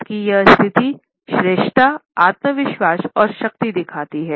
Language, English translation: Hindi, This position of hands indicates superiority, confidence and power